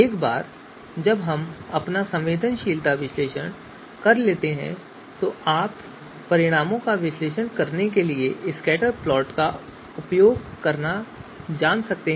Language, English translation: Hindi, So once we have done our sensitivity analysis you know modelling then we can you know use the scatterplots to analyze the results